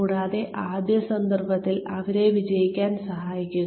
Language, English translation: Malayalam, And, in the first instance, help them succeed